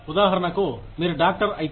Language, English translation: Telugu, For example, if you are doctor